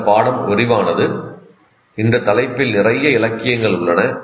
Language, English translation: Tamil, The subject is vast and there is a lot of literature on that